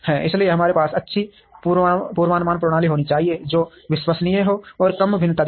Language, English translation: Hindi, So we should have good forecasting systems, which are reliable and show less variation